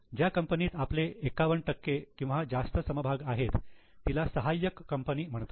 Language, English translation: Marathi, The company where we hold more than 51% share is a subsidiary